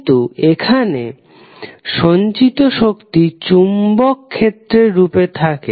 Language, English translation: Bengali, But here the stored energy is in the form of magnetic field